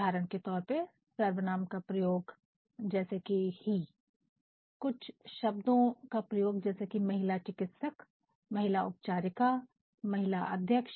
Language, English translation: Hindi, For example, the use of certain pronouns his, her like that; use of certain words like say lady doctor fine, lady nurse fine, chair chairwoman fine like that